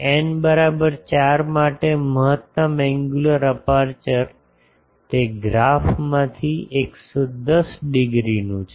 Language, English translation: Gujarati, For n is equal to 4, the optimum angular aperture is from that graph 110 degree